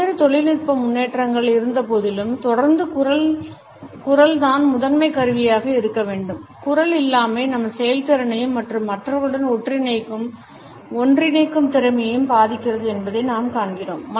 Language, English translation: Tamil, Voice continuous to remain the primary tool of communication despite various technological developments, we find that the absence of voice hampers our performance and our capability to interconnect with other people